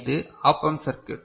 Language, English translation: Tamil, So, this is the op amp circuit